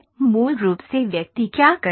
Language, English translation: Hindi, Originally what person do